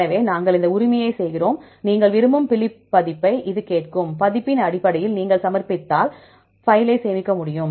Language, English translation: Tamil, So, we do this right, it will ask for the which Phylip version you want, based on the the version if you submit then you can save the file